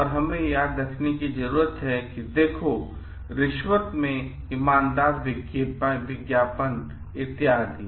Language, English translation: Hindi, And this we need to remember like, look at in bribes, honest advertising etcetera